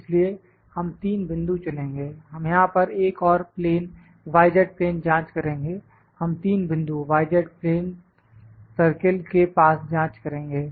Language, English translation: Hindi, So, we will select 3 points we will check another plane here y z plane, we will check 3 points near to y z plane circle